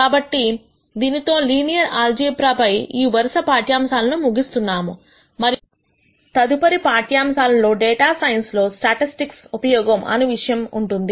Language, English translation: Telugu, So, with this we close this series of lectures on Linear Algebra and the next set of lectures would be on the use of statistics in data science